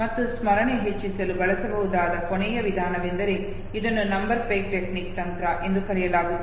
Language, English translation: Kannada, And the last method, that can be used to increase memory is, what is called as number peg technique